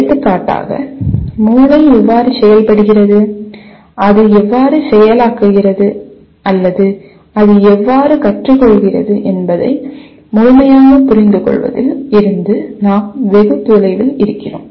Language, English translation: Tamil, For example we are far from fully understanding how brain functions and how does it process or how does it learn